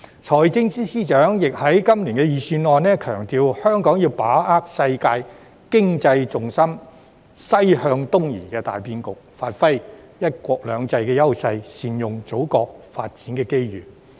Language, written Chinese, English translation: Cantonese, 財政司司長在今年的財政預算案亦強調，香港要把握世界經濟重心"西向東移"的大變局，發揮"一國兩制"優勢，善用祖國的發展機遇。, The Financial Secretary also stressed in this years Budget that Hong Kong had to take advantage of the momentous shift in global economic gravity from West to East by capitalizing on our strengths under one country two systems and making good use of the Motherlands development opportunities